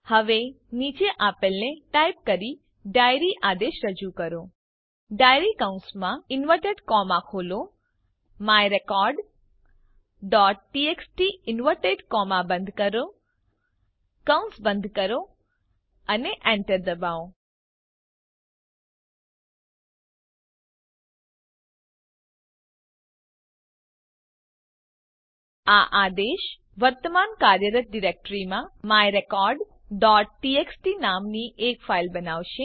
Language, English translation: Gujarati, Now issue the diary command by typing: diary bracket, open inverted commas, myrecord.txt close inverted commas, close the bracket and press enter This command will create a file with the name myrecord.txt in the current working directory